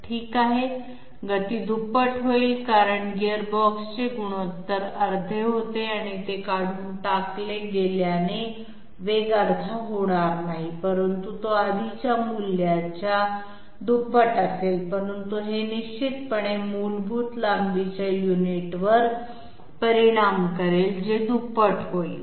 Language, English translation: Marathi, Okay, speed will be doubled because the ratio of the gearbox was half and since this is removed, speed will not be half but it will be double of the previous value, but this will definitely affect the basic length unit which will become double as well